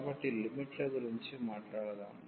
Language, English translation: Telugu, So, let us talk about the limits